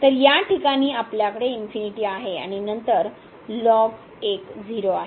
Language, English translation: Marathi, So, in this case we have the infinity here and then ln 1 so 0